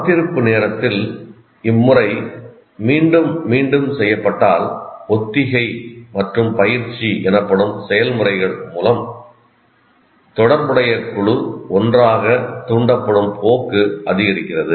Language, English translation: Tamil, And during the standby time, if the pattern is repeated, repeated, through processes we will presently see called rehearsal and practice, the tendency for the associated group to fire together is increased